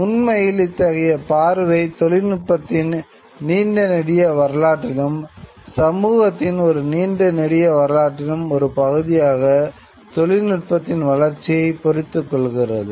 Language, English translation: Tamil, So, this kind of a view actually locates the development of technology within a larger history of technology and a larger history of society and it looks upon technology as a product of history